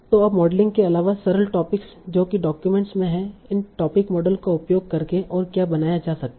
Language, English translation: Hindi, So now apart from modeling the simple topics that are there in the document, what else can be modeled using these topic models